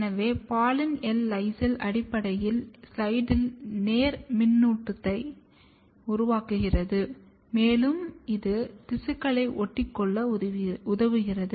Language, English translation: Tamil, So, poly L lysine basically creates a positive charge on the slide and it helps the tissue to stick to it